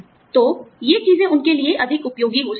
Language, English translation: Hindi, So, these things might be, more helpful for them